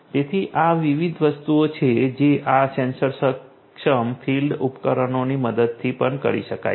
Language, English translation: Gujarati, So, these are the different things that can be done with the help of these sensor enabled field devices